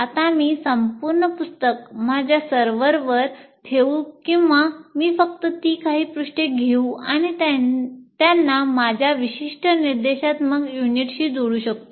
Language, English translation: Marathi, Now I can put the entire book on that, onto the, what do you call, on my server, or I can only take that particular few pages and link it with my particular instructional unit